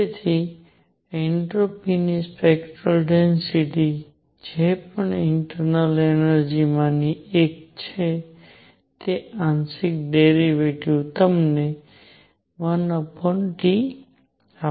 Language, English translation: Gujarati, So, even the partial whatever the spectral density of the entropy is one of the internal energy is there partial derivative gives you 1 over T